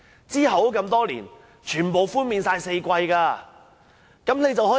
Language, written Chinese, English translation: Cantonese, 其後多年，政府均寬免4季全數差餉。, For many years thereafter the Government has offered rates concessions for all four quarters